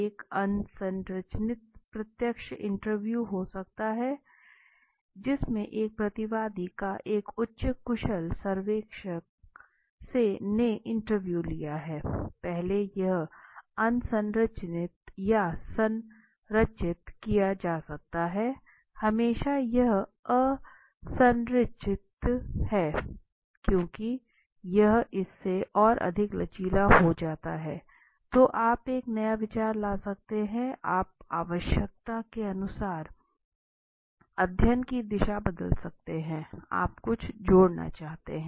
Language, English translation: Hindi, Could be an unstructured direct personal interview in which a single respondent is probed by a highly skilled interviewer, so now understand first of all this is unstructured few it could be structured it is not keep there is always to be an unstructured way but mostly it is unstructured because unstructured when it is unstructured it is more flexible right, so you can bring a new thoughts you can change the direction of the study as per requirement right if you it is if you desires to add something